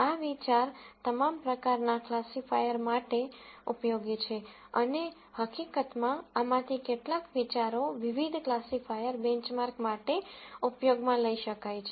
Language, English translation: Gujarati, This idea is useful for all kinds of classifiers and in fact, some of these ideas could be used to benchmark different classifiers